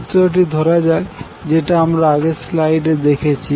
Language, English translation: Bengali, Let us consider the figure which we saw in the first slide